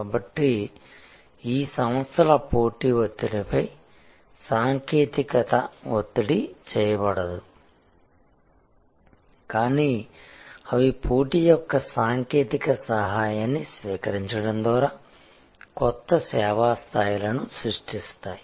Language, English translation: Telugu, So, technology is not thrust upon these organizations competitive pressure, but they create new service levels by adopting technology aid of the competition